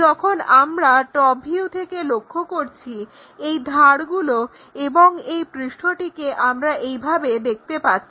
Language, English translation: Bengali, When we are looking from top view these edges under surface we will see it in that way